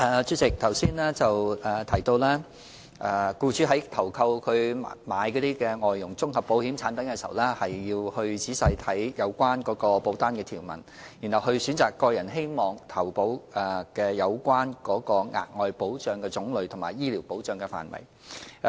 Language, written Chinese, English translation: Cantonese, 主席，剛才提到僱主在投購所需的外傭綜合保險產品時，要仔細閱讀保單條文，選擇個人希望投購額外保障的種類或醫療保障的範圍。, President just now I was saying that in taking out FDH comprehensive insurance products employers should carefully examine the policy terms and then decide on taking out additional types of coverage or scopes of medical coverage